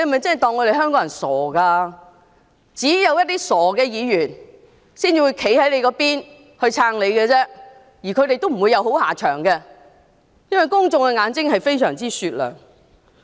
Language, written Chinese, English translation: Cantonese, 只有一些傻的議員才會站在他那邊支持他，而他們亦不會有好下場，因為公眾的眼睛非常雪亮。, Only silly Members would stand by his side to support him and they will not end well because the public have discerning eyes